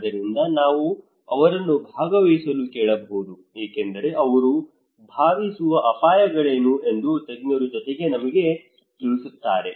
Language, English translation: Kannada, So we should simply ask them to participate to tell us along with the expert that what are the risk they think they are vulnerable to okay